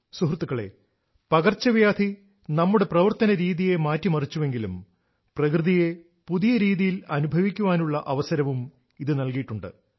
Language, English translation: Malayalam, Friends, the pandemic has on the one hand changed our ways of working; on the other it has provided us with an opportunity to experience nature in a new manner